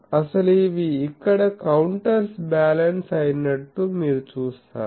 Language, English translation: Telugu, Actually, you see they are counter balanced here